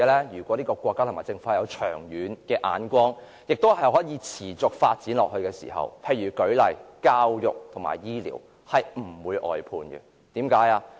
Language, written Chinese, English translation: Cantonese, 如果國家和政府具長遠眼光，並且能夠持續發展的話，教育和醫療等範疇便不會出現外判的情況。, If a country or government has foresight and is capable of pursuing sustainable development outsourcing will not be found in such areas as education health care and so on